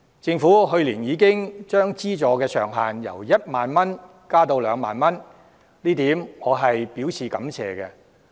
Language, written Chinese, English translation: Cantonese, 政府去年已將資助上限由1萬元增至2萬元，我對此表示感謝。, I thank the Government for raising the subsidy ceiling from 10,000 to 20,000 last year